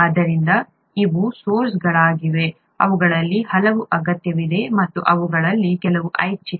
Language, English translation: Kannada, So these are sources, many of which are required, and some of which are optional